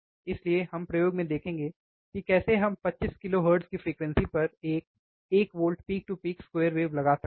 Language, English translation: Hindi, So, we will see in the experiment, how we are applying one volt peak to peak square wave, at a frequency of 25 kilohertz